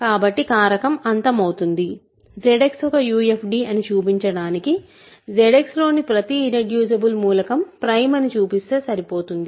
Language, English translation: Telugu, So, it; so, factoring terminates so, to show that Z X is a UFD, it suffices to show that every irreducible element in Z X is prime, right